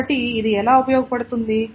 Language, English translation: Telugu, So how is this useful